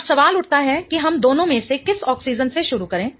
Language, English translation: Hindi, Now the question arises which one of the two oxygens should we start with